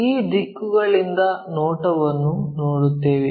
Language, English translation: Kannada, These are the directions what we will see